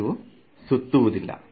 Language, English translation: Kannada, It does not swirl